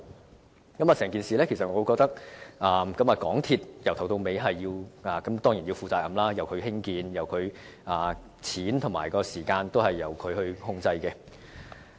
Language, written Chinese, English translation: Cantonese, 我認為，整件事由始至終當然是港鐵公司須要負責任，因為它負責興建，資金及時間都是由它控制。, In my opinion MTRCL should of course be responsible for the entire case because it is entrusted with the construction of the project and is in control of the capital and the construction time